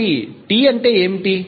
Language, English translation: Telugu, So, what is capital T